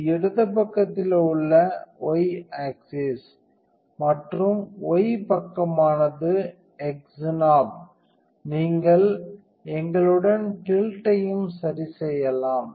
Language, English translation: Tamil, So, this is the y position on the left side and that the y side is the x knob you can adjust the tilt with us to